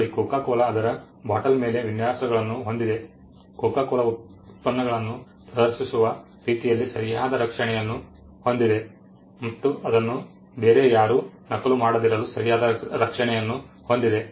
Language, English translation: Kannada, See coco cola has designs on it is bottle, coco cola has copy right protection in the way in which it is products are displayed it is an artistic work the way coco cola has trademark on the world